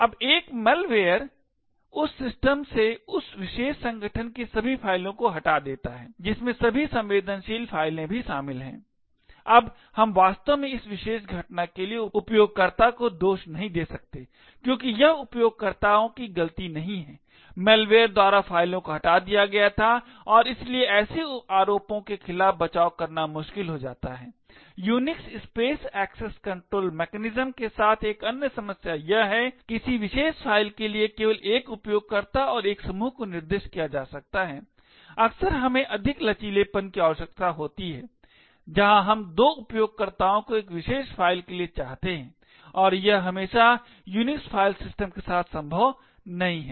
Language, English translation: Hindi, Now a malware deletes all the files of that particular organisation from that system, including all the sensitive files, now we cannot actually blame the user for that particular incident because it is not the users fault, the deletion of the files was done by the malware and therefore defending against such allegations becomes difficult, another problem with the Unix space access control mechanisms is that only one user and one group can be specified for a particular file, often we would require more flexibility where we want two users to own a particular file and this is not always possible with the Unix file systems